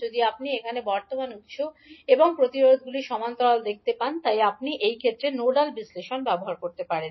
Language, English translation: Bengali, If you see here the current source and the resistances are in parallel so you can use nodal analysis in this case